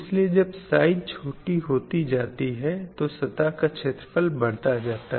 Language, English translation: Hindi, So when the size goes down, the surface area getting increased